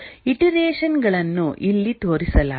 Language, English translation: Kannada, The iterations are shown here